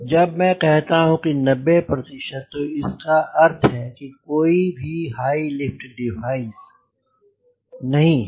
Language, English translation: Hindi, when i say ninety percent you can easily understand that means there are no high lift devices